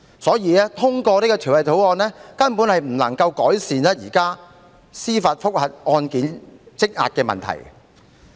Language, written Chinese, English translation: Cantonese, 因此，通過這項《條例草案》根本無法改善現時司法覆核案件積壓的問題。, Therefore the passage of the Bill simply cannot alleviate the current problem of backlog of judicial review cases